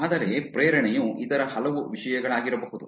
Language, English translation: Kannada, But the motivation can be many other things